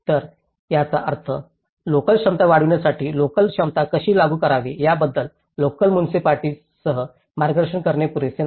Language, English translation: Marathi, So, which means it is not adequate enough to guide the local municipalities how to enforce the local capacity to enhance the local capacities